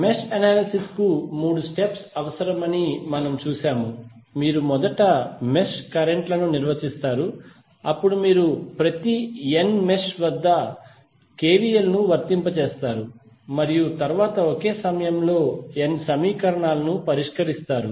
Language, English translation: Telugu, And we saw that the three steps are required for the mesh analysis we have you will first define the mesh currents then you apply KVL at each of the n mesh and then solve the n simultaneous equations